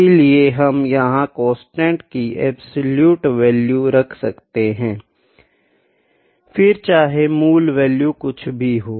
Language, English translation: Hindi, So, we will put absolute value of the constant here as well, irrespective of it is original value